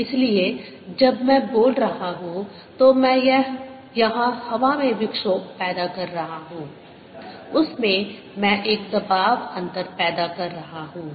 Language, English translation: Hindi, when i am speaking, i am creating a disturbance in the air out here, in that i am creating a pressure difference